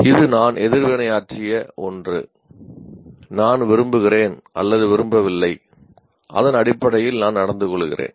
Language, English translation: Tamil, So, something that I have reacted I like or don't like and I behave accordingly based on that